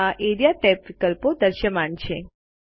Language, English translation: Gujarati, The Area tab options are visible